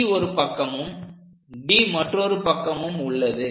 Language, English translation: Tamil, So, C is on this side, D is on the other side